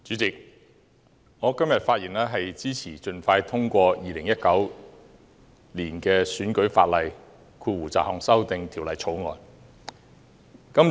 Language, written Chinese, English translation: Cantonese, 主席，我今天發言支持盡快通過《2019年選舉法例條例草案》。, President today I speak to support the timely passage of the Electoral Legislation Bill 2019 the Bill